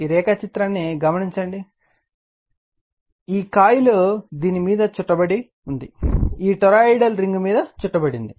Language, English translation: Telugu, Now, if you look into this if you look into this diagram, this is the coil wound on this you are what you call on this toroidal ring